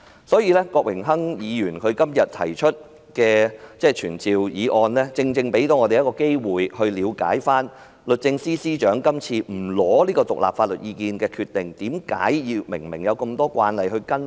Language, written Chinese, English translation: Cantonese, 所以，郭榮鏗議員今天提出的傳召議案，正正給我們一個機會，以了解律政司司長今次不尋求獨立法律意見的決定，為何有這麼多慣例她不跟隨？, For that reason the motion of summon proposes by Mr Dennis KWOK today gives us an opportunity to understand why the Secretary for Justice has made a decision that DoJ would not seek independent legal advice this time . Why was she not following the convention?